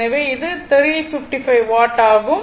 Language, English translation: Tamil, So, it is 355 watt and P3 is equal to